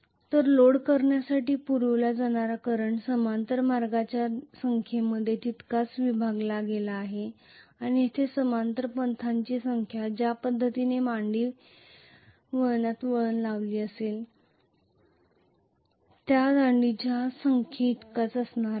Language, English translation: Marathi, So the current supplied to the load is equally divided among the number of parallel paths and here the number of parallel paths is going to be equal to the number of poles the way the winding is arranged in lap winding this is the norm